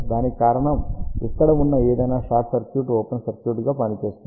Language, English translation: Telugu, The reason for that is that any short circuit over here will act as an open circuit